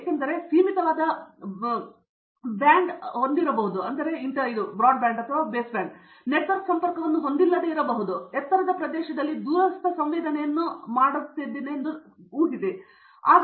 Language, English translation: Kannada, Because I may have limited band width and may not even have network connection, say suppose I am doing a remote sensing in high altitude area